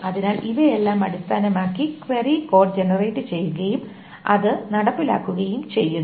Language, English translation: Malayalam, So, and based on all of this, finally the query code is generated and that is being executed